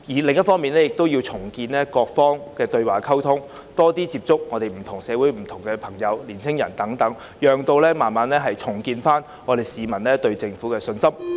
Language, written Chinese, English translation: Cantonese, 另一方面，政府亦要重建各方的對話和溝通，多接觸社會上不同人士特別是年青人，逐漸重建市民對政府的信心。, On the other hand the Government should also re - establish dialogues and communication with all sides and reach out more to various sectors of the community particularly the young people in order to gradually rebuild peoples confidence in the Government